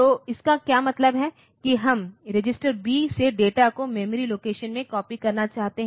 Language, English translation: Hindi, So, what it means is that we want to copy from data register B into a memory location